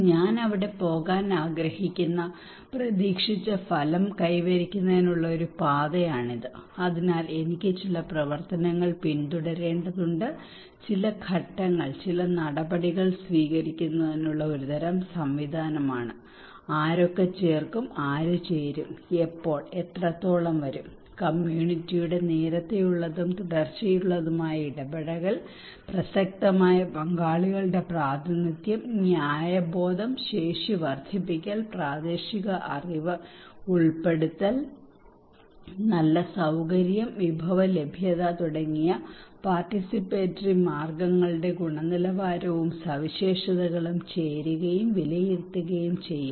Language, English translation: Malayalam, This is a pathway to achieve the expected outcome that I want to go there, so I have to follow some functions, some steps some measures is a kind of mechanism to adopt who will add, who will join, when and what extent he will be joining and evaluate the quality and characteristics of the means of participations like early and continued engagement of the community, representation of relevant stakeholders, fairness, capacity building, incorporating local knowledge, good facilitation, resource availability these should be considered as participatory